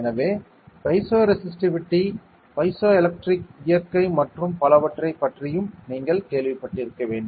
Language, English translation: Tamil, So, you must have also heard about piezo resistivity piezoelectric nature and so on